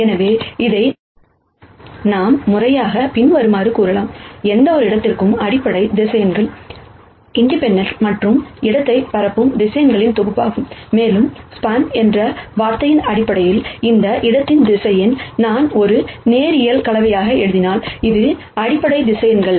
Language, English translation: Tamil, 4 So, this we can formally say as the following, basis vectors for any space are a set of vectors that are independent and span the space and the word span ba sically means that, any vector in that space, I can write as a linear combination of the basis vectors